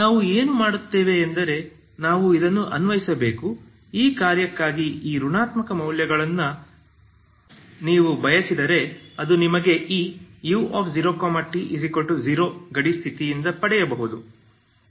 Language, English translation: Kannada, So what we do is we apply so this is what if you want this negative values for this function that will give you this that can be gotten from this boundary condition, okay